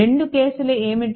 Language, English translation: Telugu, What was the two cases